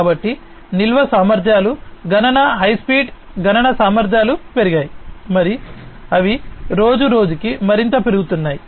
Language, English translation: Telugu, So, storage capacities have increased computational high speed computational capacities have increased and they are increasing even more day by day